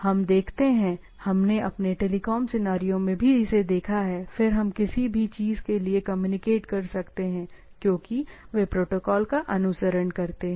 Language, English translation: Hindi, We see, we have seen this in our telecoms scenarios also, then we can communicate to anything to anything because they follow from protocol